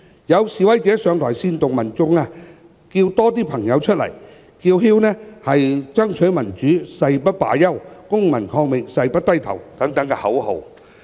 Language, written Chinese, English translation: Cantonese, 有示威者上台煽動民眾"叫多些朋友出來"，又叫喊"爭取民主，誓不罷休、公民抗命，誓不低頭"等口號。, Some protesters got to the stage to incite the public by saying Ask more friends to come out . They also chanted slogans of fighting for democracy never give up civil disobedience never give up